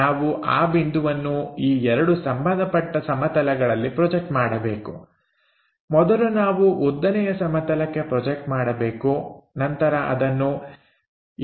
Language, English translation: Kannada, Once we have this point A, we have to project this point on 2 corresponding planes always we project it on to vertical plane first once it is done we name it a’, A point to a’